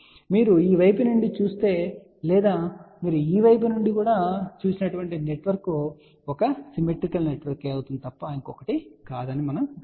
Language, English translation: Telugu, As you can see if you look on this side or you look from this side the network is nothing but a symmetrical network